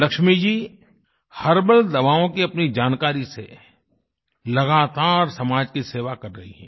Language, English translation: Hindi, Lakshmi Ji is continuously serving society with her knowledge of herbal medicines